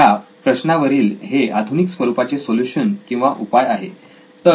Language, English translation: Marathi, This is the modern solution to that problem